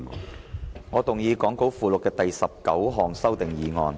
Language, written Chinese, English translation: Cantonese, 主席，我動議講稿附錄的第19項修訂議案。, President I move the 19 amending motion as set out in the Appendix to the Script